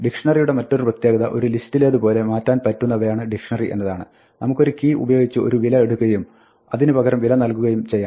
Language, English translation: Malayalam, And the other feature of a dictionary is that like a list, it is mutable; we can take a value with a key and replace it